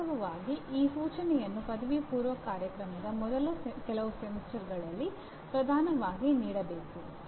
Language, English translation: Kannada, In fact this instruction should be given dominantly in the first few semesters of a undergraduate program